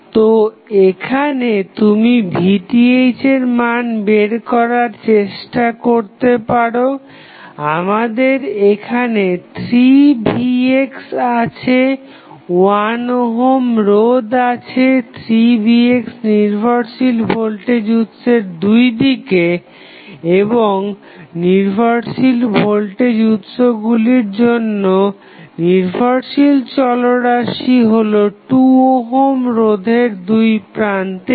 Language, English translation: Bengali, So, here you can just try to find out the value of Vth we are these 3 Vx is there in 1 ohm is the resistance along the 3 Vx dependent voltage source and the dependent variable for the depending source the dependent voltage sources the voltage across 2 ohm resistance